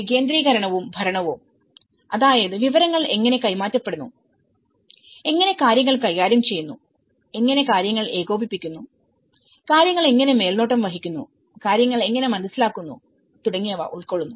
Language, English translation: Malayalam, Decentralization and the governance, which actually, how the information is passed out, how things are managed and how things are coordinated, how things are supervised, how things are perceived